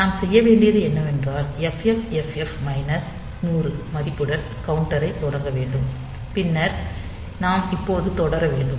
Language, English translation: Tamil, So, what we have to do is we have to start the counter with the value FFFF minus 100 that way, and then we have to continue now when the